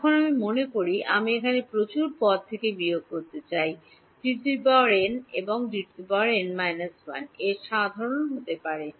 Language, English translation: Bengali, Now I see remember I want to subtract over here from D n minus 1 lot of terms may be common between D n and D n minus 1